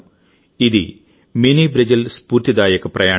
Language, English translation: Telugu, This is the Inspiring Journey of Mini Brazil